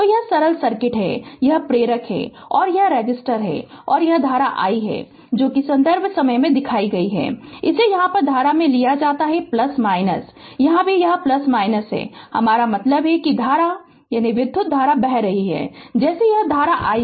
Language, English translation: Hindi, So, this is the simple circuit this is inductor and this is resistor and this is the current i right and it is taken current your here it is plus minus here also it is plus minus, I mean I mean current is ah current is moving like this this is current i right